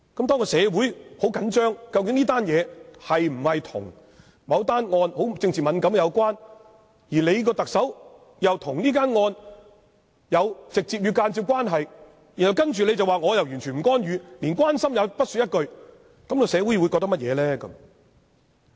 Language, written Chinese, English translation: Cantonese, 當社會十分緊張這件事是否跟某宗政治敏感的案件有關，而特首又跟這宗案件有直接和間接的關係，然後特首說自己完全不會干預，連關心也不說一句，社會會怎麼想呢？, When there is intense public concern of whether this incident has something to do with a certain politically sensitive case which is directly and indirectly related to the Chief Executive and then the Chief Executive says that she will not intervene or even express her least concern what will the community think about this state of affairs?